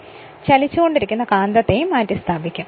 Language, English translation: Malayalam, And the moving magnet is replaced by rotating field